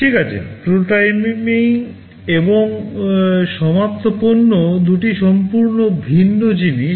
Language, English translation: Bengali, Well, prototyping and finished products are two entirely different things